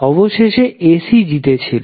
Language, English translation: Bengali, Eventually AC won